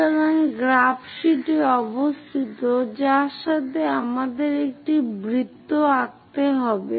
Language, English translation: Bengali, So, locate on the graph sheet with that we have to draw a circle